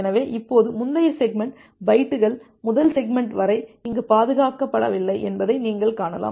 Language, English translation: Tamil, So now, you can see that the earlier earlier division that were that we had from bytes to segment that was not being preserved here